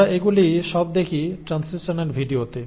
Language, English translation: Bengali, Now we look at all this in translational video